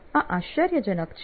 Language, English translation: Gujarati, This is amazing